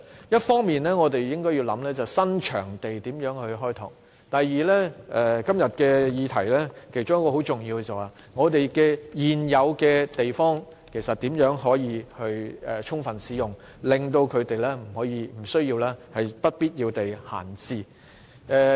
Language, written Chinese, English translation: Cantonese, 一方面，我們應考慮如何開拓新場地；另一方面，今天議題當中有一點很重要，便是我們如何可以充分使用現有的場地，避免它們不必要地閒置。, To deal with the venue problem we should look into ways to explore new venues . In the meantime we also have to consider how to make efficient use of the existing venues so as not to let them lie idle . This is one of the important points in todays debate